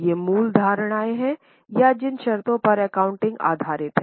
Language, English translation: Hindi, Now these are the basic assumptions or conditions upon which the accounting is based